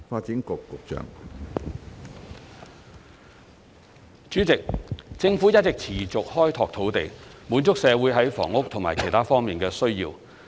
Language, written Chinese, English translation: Cantonese, 主席，政府一直持續開拓土地，滿足社會在房屋和其他方面的需要。, President the Government is making land resources available to meet the housing and other needs of the community